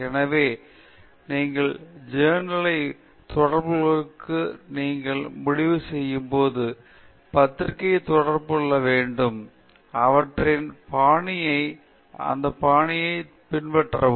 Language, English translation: Tamil, So, you should, when you decide to publish you have to contact the journal, get their style and then follow that style